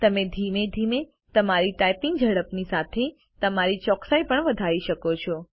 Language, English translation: Gujarati, You can gradually increase your typing speed and along with it, your accuracy